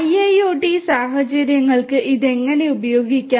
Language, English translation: Malayalam, And how it could be used for IIoT scenarios